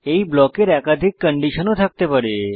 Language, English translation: Bengali, These blocks can have multiple conditions